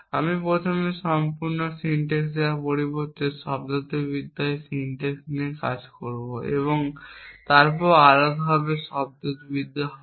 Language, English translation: Bengali, I will work with the syntax in the semantics instead of first giving you the full syntax and then the semantics separately